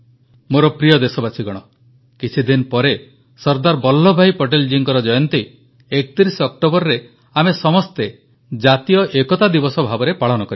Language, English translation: Odia, In a few days we will celebrate Sardar Vallabh Bhai Patel's birth anniversary, the 31st of October as 'National Unity Day'